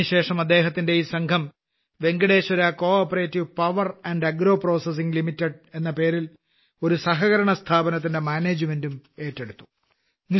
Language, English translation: Malayalam, After this his team took over the management of a cooperative organization named Venkateshwara CoOperative Power &Agro Processing Limited